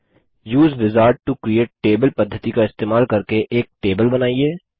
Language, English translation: Hindi, Create a table using the Use Wizard to Create table method